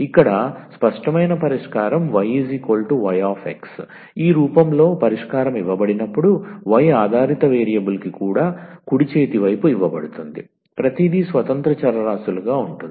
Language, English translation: Telugu, So, here the explicit solution y is equal to y x, when the solution is given in this form that y the dependent variable is given the right hand side everything contains as the independent variables